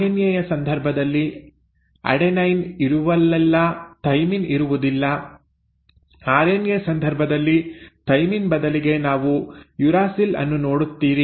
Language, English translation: Kannada, Now in case of RNA, wherever there is an adenine, there is no thymine so instead of thymine in case of RNA you will see a uracil